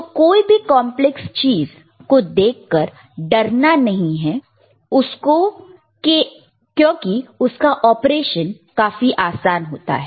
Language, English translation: Hindi, So, do not worry when you look at something which is complex the operation is really simple, all right